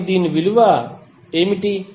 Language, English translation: Telugu, So what would be the value of this